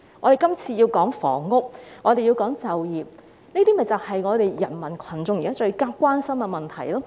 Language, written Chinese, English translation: Cantonese, "我們今天談論房屋、就業，這些就是人民群眾現時最關心的問題。, Today we talk about housing and employment . These are issues about which people are most concerned now